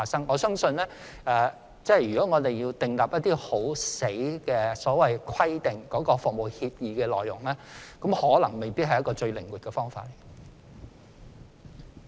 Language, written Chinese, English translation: Cantonese, 我相信，如要訂立一些強硬的規則來規定服務協議的內容，未必是一個最靈活的方法。, I believe setting some tough rules for regulating the contents of service agreements may not be the most flexible approach